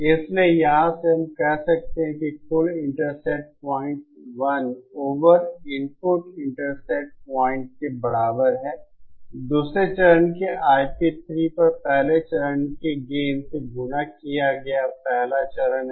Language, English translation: Hindi, So, from here we can say that one over the input intercept point total is equal to 1 over input intercept point the first stage multiplied by the gain of the first stage over I P 3 of the second stage